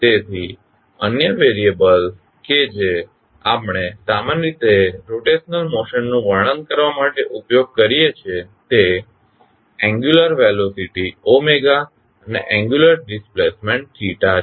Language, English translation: Gujarati, So, other variables which we generally use to describe the motion of rotation are angular velocity omega and angular displacement theta